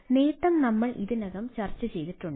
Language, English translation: Malayalam, so advantage is already we have already ah discussed ah